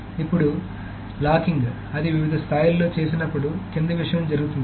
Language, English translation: Telugu, Now the locking when it is done at different levels, that the following thing happens